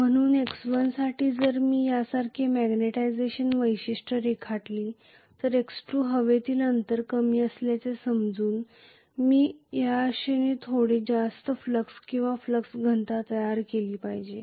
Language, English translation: Marathi, So for x1 if I draw a magnetization characteristic like this, x2 considering the air gap is lower I should probably create a little bit higher flux or flux density hopefully